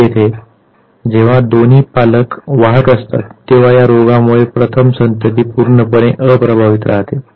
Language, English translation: Marathi, Here, when both the parents are carriers the first offspring is completely unaffected by the disease